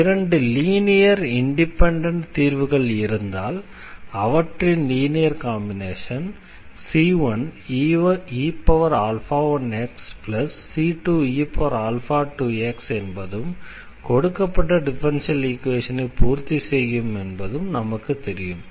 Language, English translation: Tamil, What we also know once we have two linearly independent solutions than this linear combinations, so alpha 1 e power also c 1 e power alpha 1 x and plus the another constant times e power alpha 2 x that will also satisfy this given differential equation